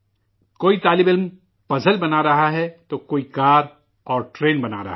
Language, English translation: Urdu, Some students are making a puzzle while another make a car orconstruct a train